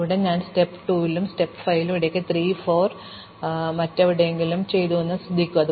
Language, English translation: Malayalam, So, notice that here, I enter at step 2 and left at step 5 in between I did 3 and 4 somewhere else